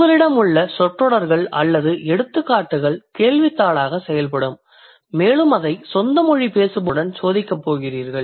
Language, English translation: Tamil, Either you have a set of, let's say, sentences or examples which will work as a questionnaire and you are going to test it with the native speakers